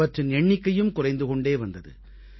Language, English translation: Tamil, Their number was decreasing